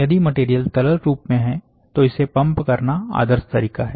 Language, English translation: Hindi, If the material is in the liquid form, then the ideal approach is to pump the material